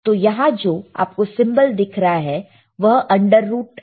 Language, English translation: Hindi, So, when you see this symbol here right this is under root